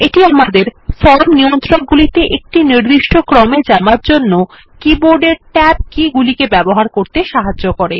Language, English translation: Bengali, This helps us to use keyboard tab keys to navigate across the form controls in a particular order, Say for example from the top to the bottom